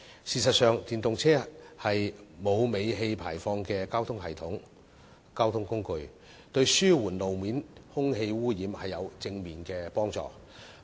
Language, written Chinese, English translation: Cantonese, 事實上，電動車是沒有尾氣排放的交通工具，對於紓緩路面空氣污染有正面幫助。, In fact EVs are a kind of transport that does not have tailpipe emissions . It can positively help relieve street - level air pollution